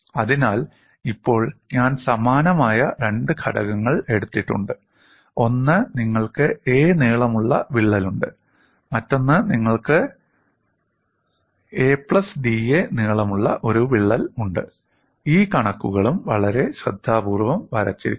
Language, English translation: Malayalam, So, now I have taken two similar components: one, you have a crack of length a, another you have a crack of length a plus d a and this figures are also drawn very carefully